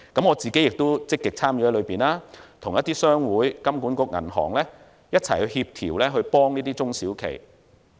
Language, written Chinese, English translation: Cantonese, 我亦積極參與其中，與商會、金管局及銀行一同協調，協助這些中小企。, I am also actively involved in coordinating with chambers of commerce the Hong Kong Monetary Authority and banks to assist these SMEs